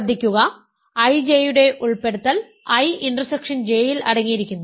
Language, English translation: Malayalam, So, what I want is a is contained in I intersection J